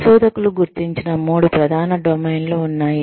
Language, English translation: Telugu, There are three main domains, that have been identified by researchers